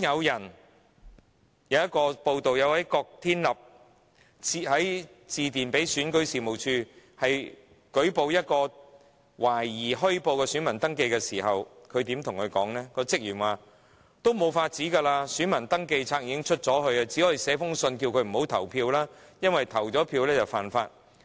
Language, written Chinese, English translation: Cantonese, 有報道指出，當郭天立致電選舉事務處舉報一宗懷疑虛報的選民登記時，職員回覆指："沒有辦法了，選民登記冊已經發出，只能發信叫他不要投票，因為投票便屬違法。, Report has it that upon receiving the call from KWOK Tin - lap of the Democratic Party to report a suspected case involving provision of false information for voter registration the staff of the Registration and Electoral Office replied We cannot help then as the voter register has been issued . All we can do is to send him a letter and ask him not to vote because he will break the law if he does proceed to vote